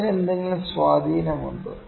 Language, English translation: Malayalam, Is it having some effect